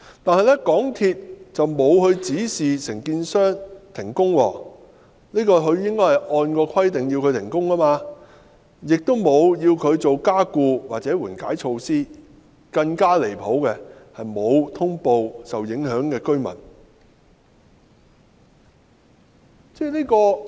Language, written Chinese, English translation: Cantonese, 不過，港鐵公司並無按規定指示承建商停工，而港鐵公司亦沒有要求承建商採取加固或緩解措施，更離譜的是，港鐵公司並無通報受影響的居民。, However MTRCL had neither instructed the contractor to suspend the construction works nor demanded the contractor to adopt strengthening measures or mitigation measures . And more ridiculously MTRCL had not notified the residents affected